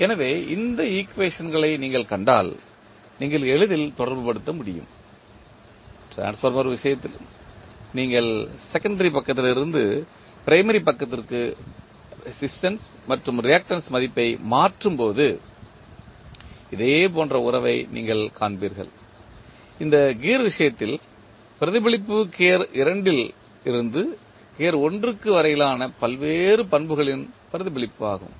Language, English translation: Tamil, So, if you see these equations you can easily correlate, in case of transformer also when you transfer the resistance and reactance value from secondary side to primary side you will see similar kind of relationship, as we see in this case of gear, the reflection of the various properties from gear 2 to gear 1